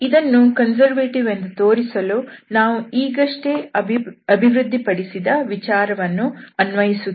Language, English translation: Kannada, So, to show that this is conservative, we will apply the idea which was developed now